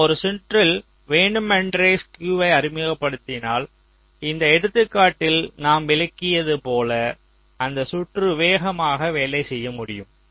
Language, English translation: Tamil, so we are deliberately introducing skew in a circuit such that the circuit can work faster, like in this example